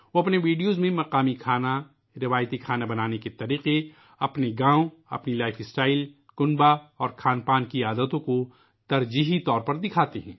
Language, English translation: Urdu, In his videos he shows prominently the local dishes, traditional ways of cooking, his village, his lifestyle, family and food habits